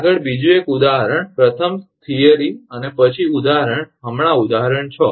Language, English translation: Gujarati, Next another example first theory and then example right now example 6